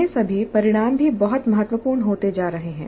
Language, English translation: Hindi, Now all these outcomes also are becoming very significant